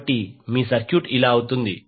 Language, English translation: Telugu, So your circuit will become like this